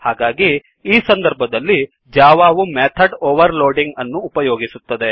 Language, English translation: Kannada, So in such case java provides us with method overloading